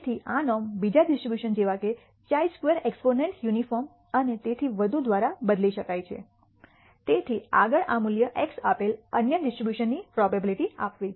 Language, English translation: Gujarati, So, this norm can be replaced by other distributions like chi square exponent uniform and so on, so forth to give the probability for other distribution given this value x